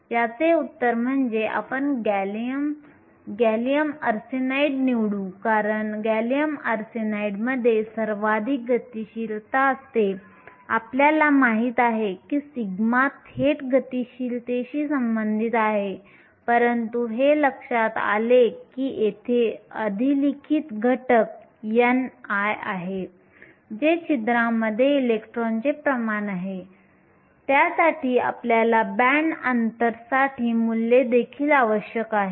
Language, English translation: Marathi, The answer is you will choose gallium arsenide because gallium arsenide has the highest mobility and we know that sigma is directly related to the mobility, but it turns out that the overriding factor here is n i, which is the concentration of electrons in holes, for that we also need the values for the band gap